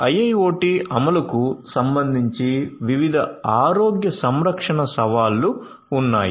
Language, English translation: Telugu, There are different healthcare challenges with respect to their implementation of IIoT